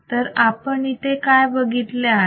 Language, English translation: Marathi, So,, what do we see here